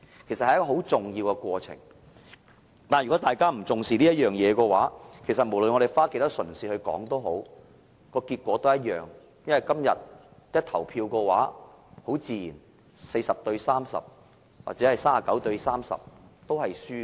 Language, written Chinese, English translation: Cantonese, 但是，如果大家對此是不重視的話，無論我們花多少唇舌討論，今天投票的結果自然都是一樣，無論是 40:30 或是 39:30， 都是輸的。, But if no importance is attached to that then no matter how painstaking is the discussion the voting result will be the same . No matter it is 40col30 or 39col30 we are bound to lose